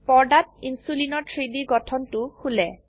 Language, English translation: Assamese, 3D Structure of Insulin opens on screen